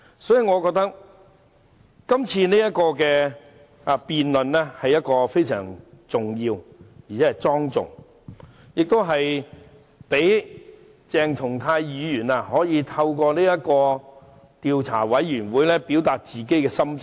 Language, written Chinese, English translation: Cantonese, 所以，我覺得這項議案是非常重要和莊重的，亦可以讓鄭松泰議員透過調查委員會表明心跡。, Hence I consider the present motion extremely important and a solemn matter . Dr CHENG Chung - tai may express his mind through the investigation committee